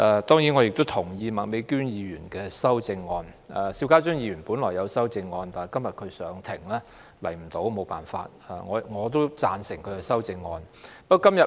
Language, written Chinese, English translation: Cantonese, 當然，我也同意麥美娟議員的修正案；邵家臻議員本來也提出了修正案，但他今天要上庭，所以沒有辦法出席，我同樣贊成他的修正案。, Of course I also support Ms Alice MAKs amendment . Mr SHIU Ka - chun has originally introduced an amendment but he needs to appear before the Court today and is thus unable to attend this meeting . His amendment also has my support